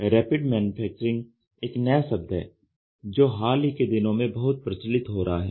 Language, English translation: Hindi, So, Rapid Manufacturing is a word or is a coined word which is gaining lot of momentum in the recent times